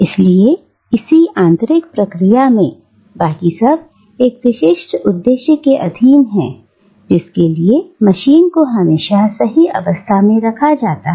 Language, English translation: Hindi, So, therefore in a mechanical process, everything else is subservient to that one specific purpose for which a machine is fine tuned, okay